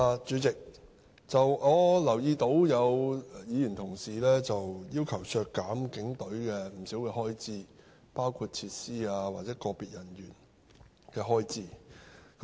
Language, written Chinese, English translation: Cantonese, 主席，我留意到有議員要求削減警隊不少的開支，包括設施或個別人員的開支。, Chairman I note that some Members have requested to cut a considerable amount of expenditure for the Hong Kong Police Force HKPF including the expenses on facilities and individual officials